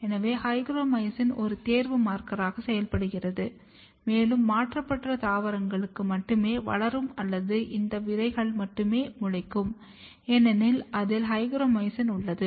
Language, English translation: Tamil, So, hygromycin acts as a selection marker and only those plant will grow or the only those seeds will germinate which has hygromycin in it